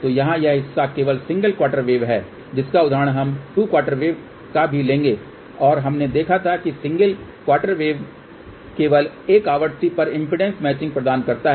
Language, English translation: Hindi, So, here this part is only single quarter wave we will take example of 2 quarter wave also and we have seen that the single quarter wave provides impedance matching only at a single frequency, so we will see these results one by one